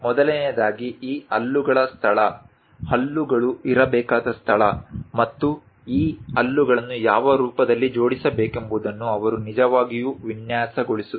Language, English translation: Kannada, First of all, he has to really design where exactly these teeth location, tooth location supposed to be there and which form it this tooth has to be arranged